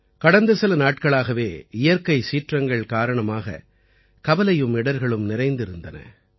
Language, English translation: Tamil, The past few days have been full of anxiety and hardships on account of natural calamities